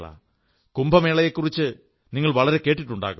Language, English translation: Malayalam, You must have heard a lot about Kumbh